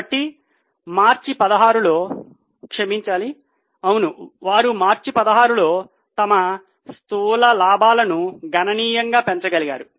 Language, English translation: Telugu, So you can see that in March 16, they were, sorry, in March 16 they were able to significantly increase their gross profit margin